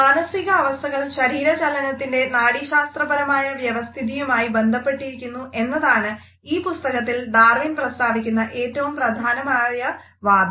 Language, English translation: Malayalam, The crucial argument which Darwin had proposed in this book was that the mental states are connected to the neurological organization of physical movement